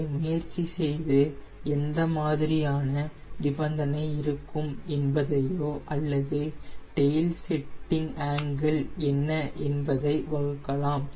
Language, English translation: Tamil, try this and you can formulate what will be the conditions or what we will be the tail setting angle